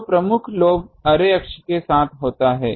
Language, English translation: Hindi, So, major lobe occurs along the array axis